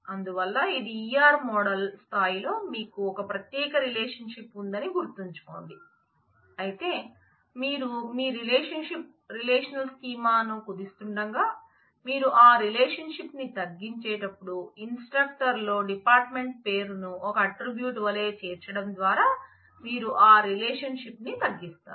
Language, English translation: Telugu, So, mind you this is at the at the E R model level you did have a separate relationship, but while you reduce it to your relationship relational schema you are reducing that relationship by including the dept name as an attribute in instructor